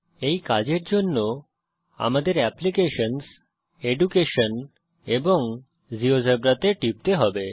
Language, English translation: Bengali, To do this let us click on applications, Education and Geogebra